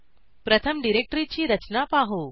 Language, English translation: Marathi, First let us go through the directory structure